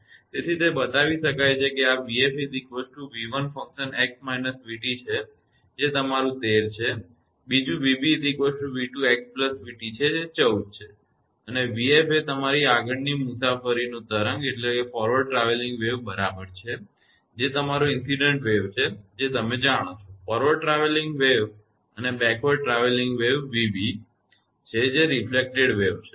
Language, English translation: Gujarati, So, can be shown that one is v f is equal to v 1 it is x minus v t that is your 13, another is v b is equal to v t x plus v t that is 14 and v f is equal to your forward your travelling wave that is your incident wave you know that forward travelling wave and v b is backward travelling wave that is reflected wave